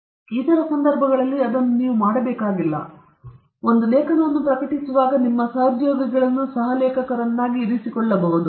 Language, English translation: Kannada, On certain other occasions, we need not do that, because, again, when you publish an article you can keep your colleagues as co authors